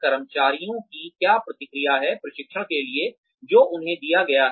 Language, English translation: Hindi, What is the reaction of the employees, to the training, that has been given to them